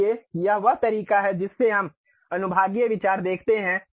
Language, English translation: Hindi, So, that is the way we see the sectional views